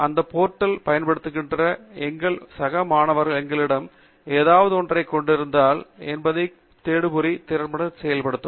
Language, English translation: Tamil, You can also use the search engine capabilities to see whether our peers who are also using this portal have something to convey to us